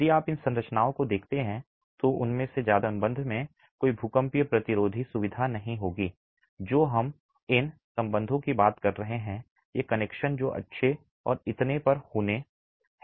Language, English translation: Hindi, If you look at these structures, most of them will not have any seismic resistance feature in terms of what we are talking of these ties, these connections which have to be good and so on